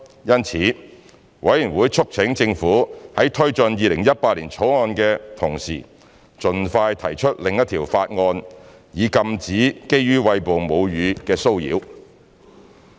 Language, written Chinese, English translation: Cantonese, 因此，法案委員會促請政府在推進《2018年條例草案》的同時盡快提出另一項法案，以禁止基於餵哺母乳的騷擾。, Therefore the Bills Committee urged the Government to while taking forward the 2018 Bill expeditiously introduce another bill to outlaw harassment on the ground of breastfeeding